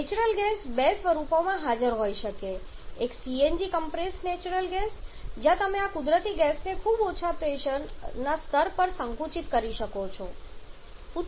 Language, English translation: Gujarati, Natural gas can be present in 2 forms one is CNG the compressed natural gas where you compress this natural gas to very high pressure levels